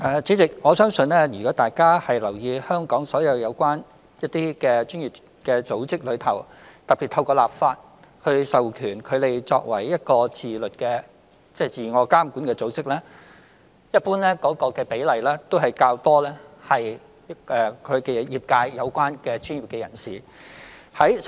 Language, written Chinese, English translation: Cantonese, 主席，我相信如果大家有留意，香港所有相關專業組織，特別是透過立法授權作為一個自我監管的組織，一般的成員比例都較多為與業界相關的專業人士。, President I believe Members may have noticed that among all the relevant professional organizations in Hong Kong particularly self - regulatory organizations authorized by law the proportion of professional members coming from the relevant sectors is generally higher